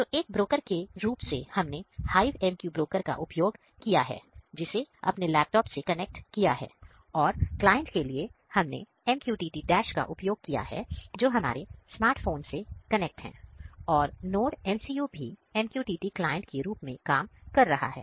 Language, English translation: Hindi, So, as a broker we have used HiveMQ broker which we have installed on our laptop and for client we have used MQTT Dash which is installed on our smart phone and NodeMCU is also working as MQTT client